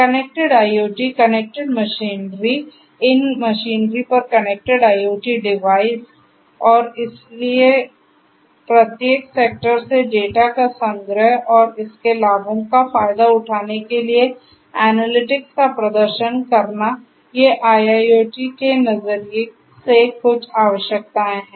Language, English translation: Hindi, Connected IoT, connected machinery, connected IoT devices on these machineries and so and the collection of data from each sector and performing analytics to exploit the wealth of its benefits, these are some of the requirements from IIoT perspective